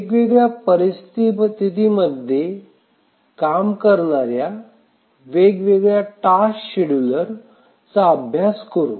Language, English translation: Marathi, We will look at different types of tasks schedulers that are used in different situations